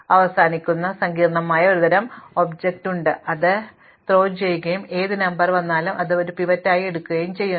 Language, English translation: Malayalam, So, we have a complex kind of object, we throw it and whichever number comes up, we pickup that as a pivot